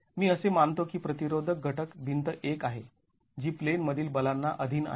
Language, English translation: Marathi, I assume that the resisting element is wall 1 which is subjected to in plain forces